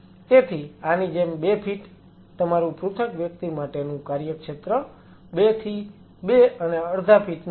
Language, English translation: Gujarati, So, 2 feet like this your working area single individual 2 to 2 and half feet the